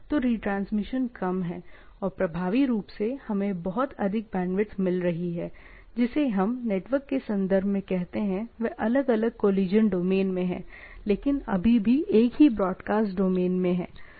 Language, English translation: Hindi, So the retransmission is less and effectively we are getting much more bandwidth, what we say in network terms, they are in different collision domain, but still in the same broadcast domain